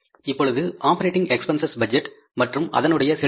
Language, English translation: Tamil, Now the next is the operating expenses budget and their payments